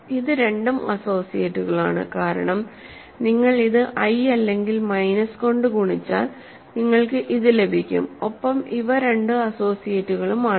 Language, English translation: Malayalam, So, these two are associates, because you multiply this by i or minus i you get this and these two are associates